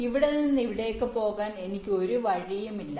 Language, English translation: Malayalam, i do not have any path to to take from here to here